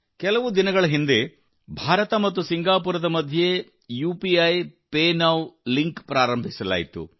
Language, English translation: Kannada, Just a few days ago, UPIPay Now Link has been launched between India and Singapore